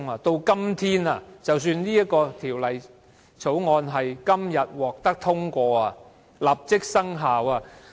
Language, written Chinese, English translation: Cantonese, 即使《2017年僱傭條例草案》今天獲得通過，立即生效......, Assuming that the Employment Amendment Bill 2017 the Bill is passed today and comes into effect immediately in case of unreasonable and unlawful dismissal the employer certainly has to pay LSP